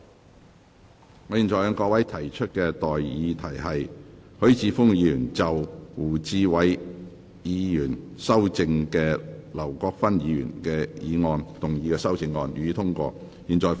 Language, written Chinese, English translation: Cantonese, 我現在向各位提出的待議議題是：許智峯議員就經胡志偉議員修正的劉國勳議員議案動議的修正案，予以通過。, I now propose the question to you and that is That Mr HUI Chi - fungs amendment to Mr LAU Kwok - fans motion as amended by Mr WU Chi - wai be passed